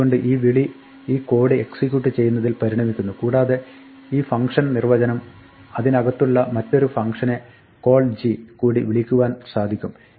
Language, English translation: Malayalam, So, this call results in executing this code and this definition might have yet another function called in it call g